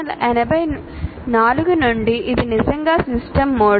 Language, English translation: Telugu, So from 1984, it is a truly system model